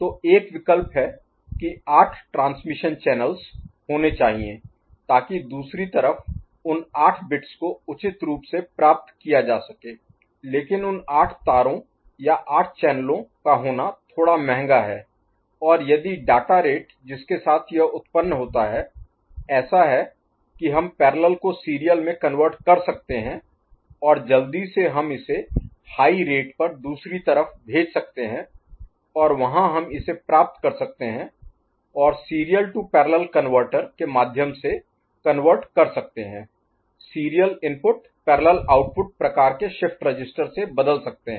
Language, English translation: Hindi, So, one option is to have 8 transmission channels ok, so that at the other side those 8 bits will be appropriately collected, but having those 8 wires or 8 channels is a bit costly and if the data rate with which this is generated is such that we can make a parallel to serial conversion and quickly we can at a higher rate, we can send it to the other side and there we can collect it and convert through a serial to parallel conversion, serial input to parallel output that kind of a shift register – then, we have a this data 8 bit data appropriately received at the other side